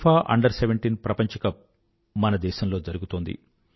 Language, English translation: Telugu, FIFA under 17 world cup is being organized in our country